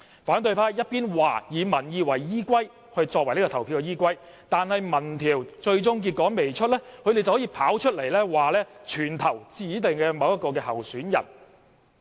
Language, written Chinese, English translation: Cantonese, 他們一邊說以民意作為投票的依歸，但民調最終的結果還未公布，他們就跑出來說全部投票給某位指定的候選人。, They said that public opinion should be used as the basis of their voting but before the final results of the opinion poll were released they quickly came forward and said that all of them would vote for a certain candidate